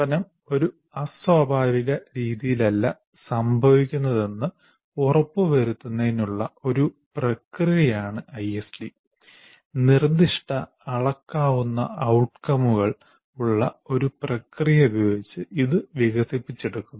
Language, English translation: Malayalam, And ISD is a process to ensure learning does not have occur in a haphazard manner and is developed using a process with specific measurable outcomes